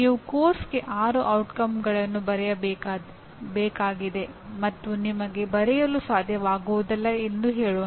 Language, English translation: Kannada, Let us say you are required to write six outcomes for a course and you are not able to write